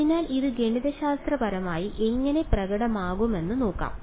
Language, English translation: Malayalam, So, let us let us let us look at how this manifests mathematically